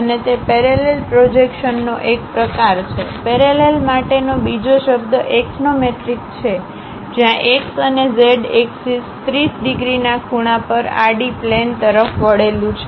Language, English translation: Gujarati, And it is a type of parallel projection, the other word for parallel is axonometric, where the x and z axis are inclined to the horizontal plane at the angle of 30 degrees